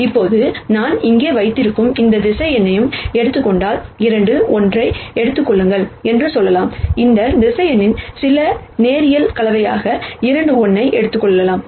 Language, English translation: Tamil, Now, if you take any vector that I have here, let us say take 2 1, I can write 2 1 as some linear combination, of this vector plus this vector